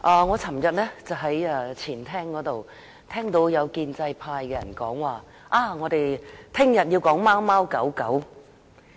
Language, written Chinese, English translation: Cantonese, 我昨天在前廳聽到有建制派議員說，我們明天要討論貓貓狗狗。, Yesterday I heard in the Ante - Chamber some pro - establishment Members saying that they were going to talk about cats and dogs tomorrow